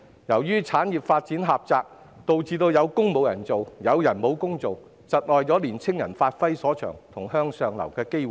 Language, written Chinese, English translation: Cantonese, 由於產業發展狹窄，導致"有工無人做，有人無工做"，窒礙年青人發揮所長及影響他們向上流的機會。, The limited development of industries has led to the simultaneous existence of both unfilled job vacancies and jobless people thus hindering young people from developing their strengths and affecting their chances of upward mobility